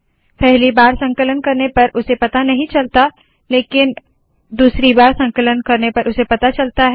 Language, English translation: Hindi, Okay, it doesnt know it yet in the first compilation, but if I compile it a second time it will know